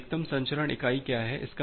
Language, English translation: Hindi, So, what is maximum transmission unit